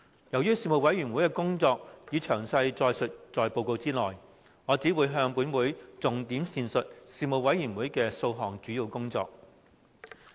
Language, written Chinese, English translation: Cantonese, 由於事務委員會的工作已詳載於報告內，我只會重點闡述事務委員會的數項主要工作。, As the work of the Panel has already been detailed in the report I will only highlight several major areas of work of the Panel